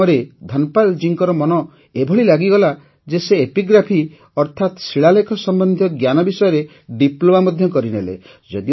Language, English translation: Odia, Dhanpal ji's mind was so absorbed in this task that he also did a Diploma in epigraphy i